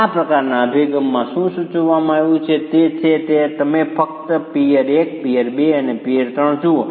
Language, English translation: Gujarati, What is prescribed in this sort of approach is you simply look at peer 1, peer 2 and peer 3